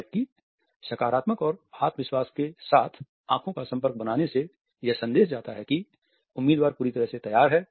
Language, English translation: Hindi, At the same time making eye contact in a positive and confident manner sends the message that the candidate is fully prepared